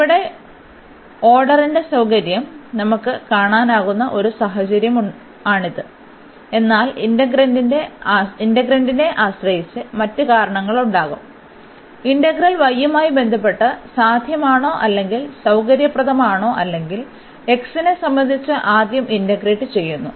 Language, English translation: Malayalam, So, this is one a situation where we can see the convenience of the order here, but there will be other reasons depending on the integrand that which integral whether with respect to y is easier or possible or convenient or with respect to x first